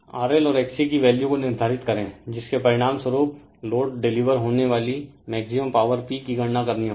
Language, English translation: Hindi, Determine the value of the R L and X C, which result in maximum power transfer you have to calculate the maximum power P delivered to the load